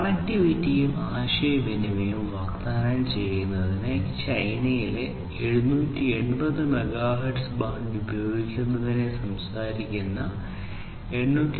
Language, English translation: Malayalam, 4c which talks about using the 780 megahertz band in china for offering connectivity and communication